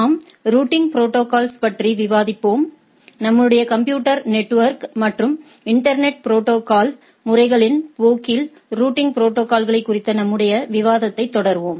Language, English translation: Tamil, So, we will be this we will be discussing on routing protocols, we will be rather continuing our discussion on routing protocol in our course of computer networks and internet protocols